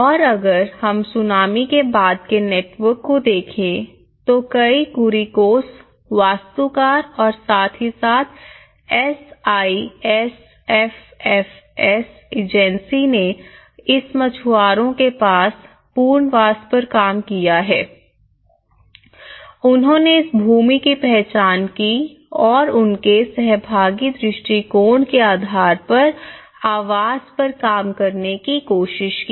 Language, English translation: Hindi, And if we look at the network after the tsunami, many Kuriakose architect and as well as the SIFFS Agency has worked on this relocation of this fishermen houses they identified this land and they tried to work out the housing when a more of a participatory approach